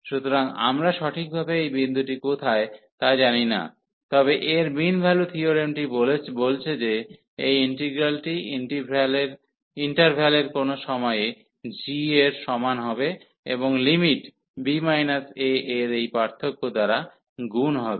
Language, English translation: Bengali, So, we do not know exactly where is this point, but this mean value theorem says that this integral will be equal to g at some point in the interval, and multiplied by this difference of the limit b minus a